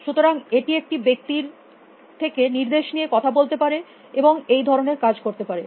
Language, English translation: Bengali, So, it could converse with a person taking instructions and do things